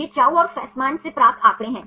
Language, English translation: Hindi, These are data obtained from Chou and Fasman